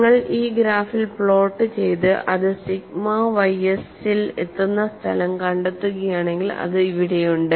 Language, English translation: Malayalam, And if you plot in this graph and locate the point where it reaches the sigma y s, it is here